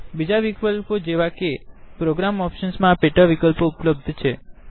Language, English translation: Gujarati, There are other options like Program Options which have these sub options